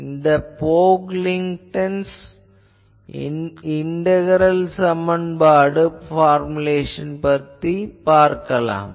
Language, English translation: Tamil, So, this formulation is called Pocklington’s integral equation formulation